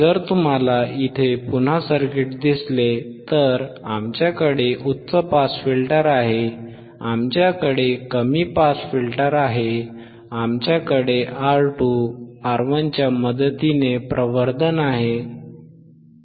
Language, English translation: Marathi, So, iIf you see the circuit here again, we have we have high pass, we have low pass, we have the amplification with the help of R 2, R 1, right